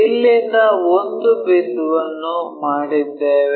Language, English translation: Kannada, So, from here one of the points we have made it